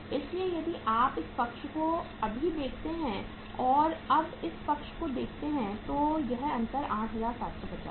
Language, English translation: Hindi, So if you look at this side now and look at this side now so this difference is 8750 we have calculated